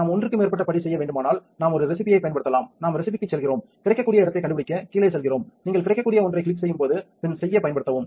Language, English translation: Tamil, We could also use a recipe if we need to make more than one step, we go to recipes go to the bottom find available slot, you could also used to pin when you click an available one you can give it a name let us call it test